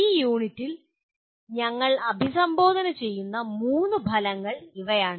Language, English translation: Malayalam, These are the three outcomes that we address in this unit